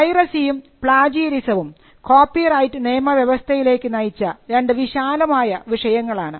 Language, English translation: Malayalam, Again, you will find that piracy and plagiarism as the broad themes that led to the creation of the copyright regime